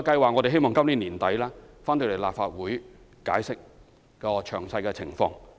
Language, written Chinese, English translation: Cantonese, 我們希望在今年年底向立法會解釋活化工廈計劃的詳細情況。, It is hoped that we will be able to give details of the revitalization scheme for industrial buildings to the Legislative Council by the end of this year